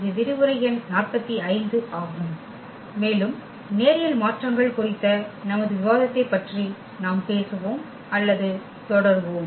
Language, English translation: Tamil, And this is lecture number 45 and we will be talking about or continue our discussion on Linear Transformations